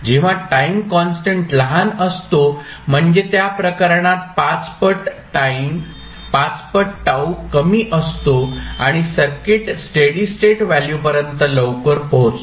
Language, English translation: Marathi, When time constant is small, means 5 into time constant would be small in that case, and the circuit will reach to steady state value quickly